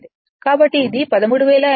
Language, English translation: Telugu, So, this is 13800 into your 43